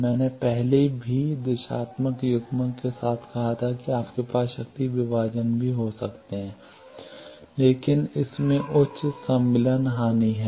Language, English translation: Hindi, I earlier said directional coupler along with that you can also have power dividers, but it has high insertion loss